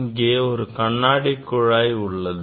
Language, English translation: Tamil, this is a tube glass tube